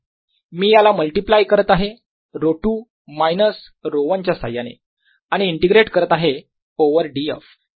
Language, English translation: Marathi, i am multiplying this by rho two minus rho one and i am integrating over d f